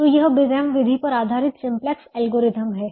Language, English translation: Hindi, so this, the simplex algorithm based on the big m method